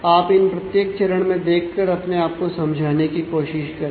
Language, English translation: Hindi, So, you can just go through every step and try to convince yourself